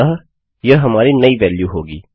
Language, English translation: Hindi, So this will be our new value